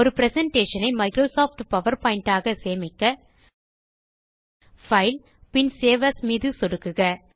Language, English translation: Tamil, To save a presentation as Microsoft PowerPoint, Click on File and Save as